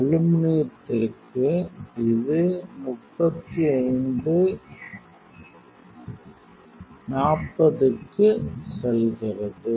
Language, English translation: Tamil, For the aluminum it goes to 35, 40